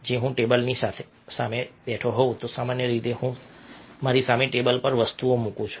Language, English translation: Gujarati, if i am sitting in front of a table, then generally i put things in front of me on the table i don't